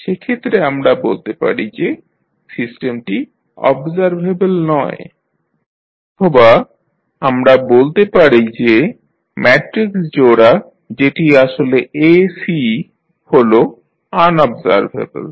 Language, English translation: Bengali, In that case, we will say that the system is not observable or we can say that the matrix pair that is A, C is unobservable